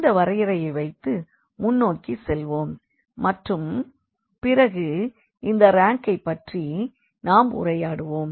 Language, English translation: Tamil, So, with this definition, we go ahead and later on we will be talking more about this rank